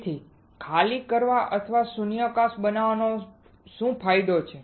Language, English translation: Gujarati, So, what is the advantage of evacuating or creating a vacuum